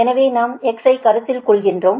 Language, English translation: Tamil, so we are considering delta x